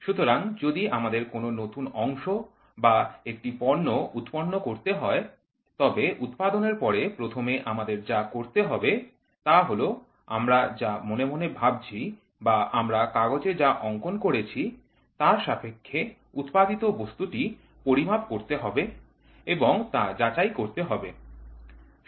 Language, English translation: Bengali, So, if we have to produce a new part or a product, the first thing what we have to do is after production, we have to measure and validate whatever we have been thinking in our mind or putting it in our paper hasn’t been manufactured